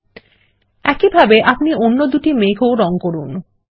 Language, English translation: Bengali, ltPausegt In the same way, we will colour the other cloud, too